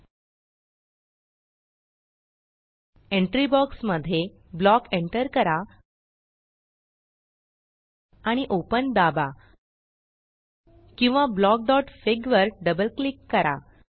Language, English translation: Marathi, In the entry box, we can enter block and press open.Or double click on block.fig